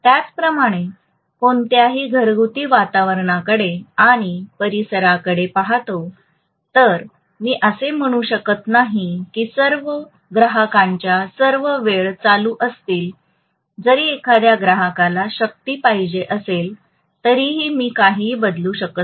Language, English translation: Marathi, Similarly, any domestic environment if I look at the locality I cannot say all the loads will be ON all the time even if one customer is wanting the power I cannot switch off anything